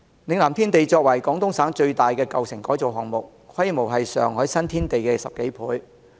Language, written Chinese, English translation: Cantonese, 嶺南天地作為廣東省最大的舊城改造項目，規模是上海新天地的10多倍。, Lingnan Tiandi is the biggest old town redevelopment project in Guangdong Province and is more than 10 times bigger in scale than the Xintiandi in Shanghai